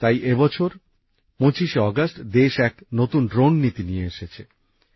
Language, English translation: Bengali, Which is why on the 25th of August this year, the country brought forward a new drone policy